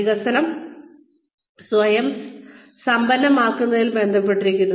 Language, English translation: Malayalam, Development relates to, enriching yourself